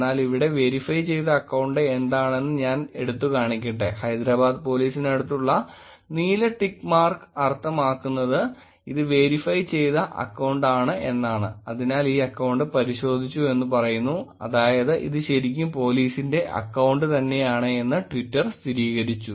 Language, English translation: Malayalam, But I think let me just highlight what a verified account here is, the blue tick mark next to Hyderabad Police here is the verified account; says that this account is verified that is, Twitter has verified this is really the Hyderabad Police